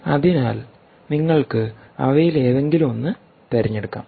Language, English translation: Malayalam, right, so you could choose any one of them, right